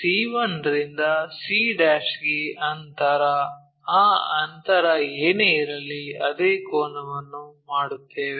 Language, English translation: Kannada, c 1 to c' whatever that distance we make that same angle